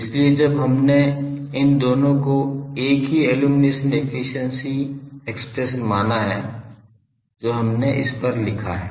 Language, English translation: Hindi, So, when we have assumed these two to be same the illumination efficiency expression we have written as up to this we have done